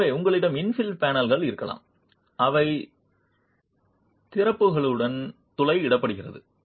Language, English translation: Tamil, So, you might have infill panels which are punctured with openings